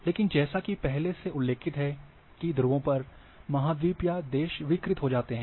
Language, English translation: Hindi, But as mentioned that on the poles, the continents or countries get distorted